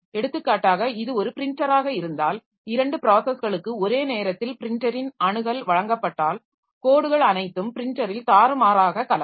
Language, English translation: Tamil, For example, if it is a printer and if two processes are given access simultaneously to the printer, then the lines are all jumbled up in the printer